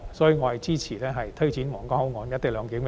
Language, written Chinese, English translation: Cantonese, 所以，我支持推展皇崗口岸"一地兩檢"。, In light of this I support the implementation of co - location arrangement at the Huanggang Port